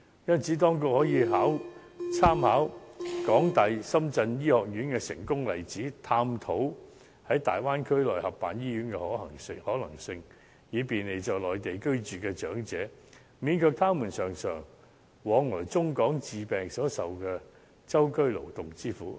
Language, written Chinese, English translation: Cantonese, 因此，當局可以參考港大深圳醫院的成功例子，探討在大灣區內合辦醫院的可能性，以便利在內地居住的長者，免卻他們經常往來中港之間治病所受的舟車勞頓之苦。, Therefore drawing reference from the successful example of the University of Hong Kong–Shenzhen Hospital the authorities should explore the feasibility of running co - establish hospitals in the Bay Area to provide convenience to those elderly persons residing on Mainland and to relieve them of the travel fatigue frequently experienced when shuttling between China and Hong Kong for medical treatment